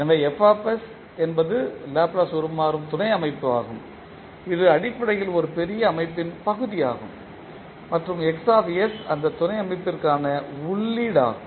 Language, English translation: Tamil, So Fs is the Laplace transform subsystem that is basically the part of a larger system and Xs is the input for that subsystem